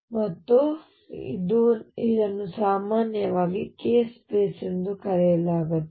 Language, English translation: Kannada, And by the way this is usually referred to as the k space